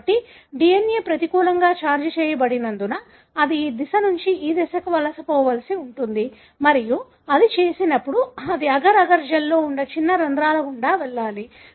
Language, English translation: Telugu, So, since the DNA is negatively charged, it has to migrate from this direction to this direction and when it does, it has to go through the small pores that are present in the agar, agar gel